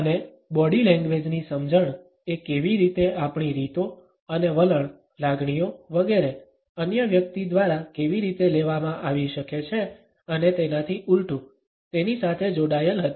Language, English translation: Gujarati, And the understanding of body language was linked as how our modes and attitudes, feelings etcetera, can be grasped by the other person and vice versa